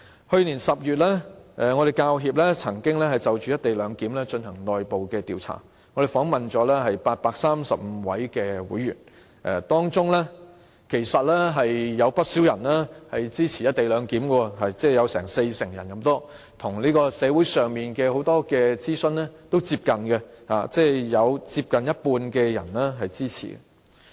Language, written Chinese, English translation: Cantonese, 去年10月，香港教育專業人員協會曾經就"一地兩檢"進行內部調查，訪問了835位會員，當中有不少人支持"一地兩檢"，即有近四成受訪者表示支持，與社會上很多諮詢的結果接近，即有接近一半人支持。, In October last year the Hong Kong Professional Teachers Union conducted an internal survey on the co - location arrangement and interviewed 835 members . A lot of our members supported the co - location arrangement with almost 40 % of the interviewees expressing support for it . This is also close to many poll results in the community which showed support from nearly 50 % of the respondents